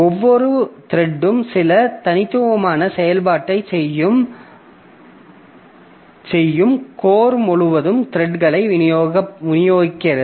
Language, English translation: Tamil, So, distributing threads across cores, each thread performing some unique operation